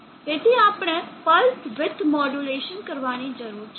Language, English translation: Gujarati, So we need to do a pulse with modulation